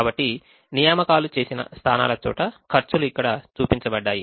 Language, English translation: Telugu, so the positions where the assignments have been made, the costs, are shown here